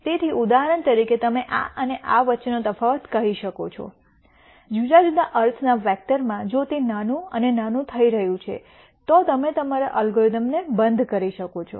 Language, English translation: Gujarati, So, for example, you could say the difference between this and this, in a vector of different sense, if that is becoming smaller and smaller then you might stop your algorithm